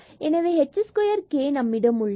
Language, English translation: Tamil, So, this was h here and this was k here